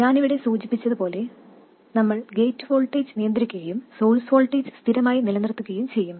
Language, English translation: Malayalam, And as mentioned here, we will control the gate voltage and keep the source voltage fixed